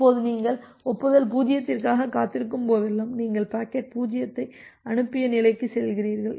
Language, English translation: Tamil, Now, whenever you are waiting for the acknowledgement 0, you are moving to the state that you have sent the packet 0